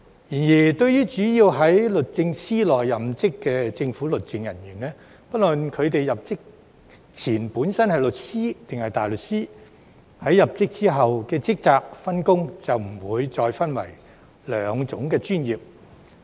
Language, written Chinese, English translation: Cantonese, 然而，對於主要在律政司內任職的政府律政人員，不論他們入職前本身是律師還是大律師，在入職後的職責、分工也不會再分為兩種專業。, That said for government legal officers who mainly work in the Department of Justice DoJ regardless of whether they were solicitors or barristers prior to their employment they are no longer categorized into two professions in terms of duties and division of work upon employment